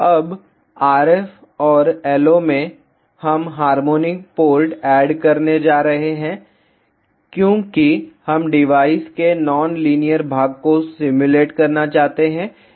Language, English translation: Hindi, Now, at the RF and LO, we are going to add harmonic ports because we want to simulate the non linear part of the device